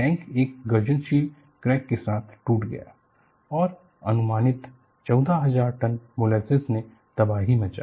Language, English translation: Hindi, The tank came apart with a thunderous cracking and an estimated 14,000 tons of molasses caused havoc